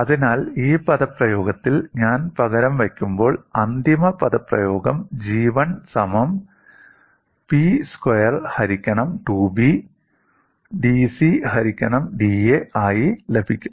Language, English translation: Malayalam, So, when I substitute it in this expression, I get the final expression as G 1 equal to P square by 2B dC by da